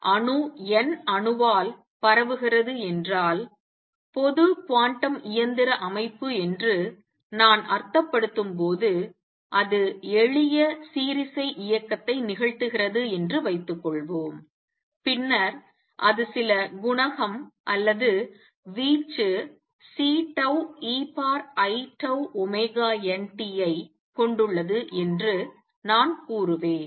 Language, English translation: Tamil, So, far what we have seen when an atom radiates n by atom I mean general quantum mechanical system, it radiates according to suppose is performing simple harmonic motion then I would say that it is has some coefficient or amplitude C tau e raised to i tau omega n t